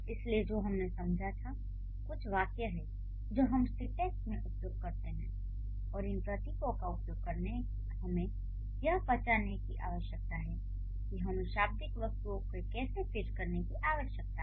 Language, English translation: Hindi, So, what we understood, there are certain symbols that we use in syntax and using these symbols we need to identify how we need to fit the lexical items and the lexical items also follow certain rules